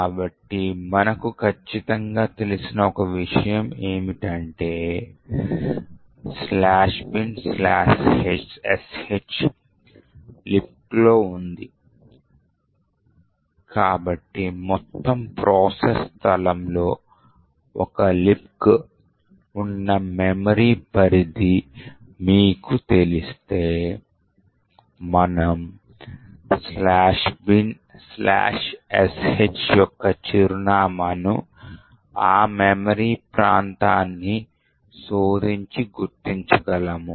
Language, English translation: Telugu, So, one thing what we know for sure is that /bin/sh is present in the libc, so if you know the memory range where a libc is present in the entire process space, we could search that memory area and identify the address of /bin/sh